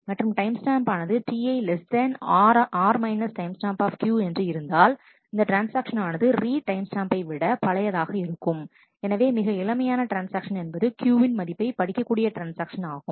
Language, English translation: Tamil, And if the timestamp of T i is less than R timestamp that is if this transaction is it is less so it is older than the read timestamp that is it is older than the transaction that read Q last, the youngest transaction that read the value of Q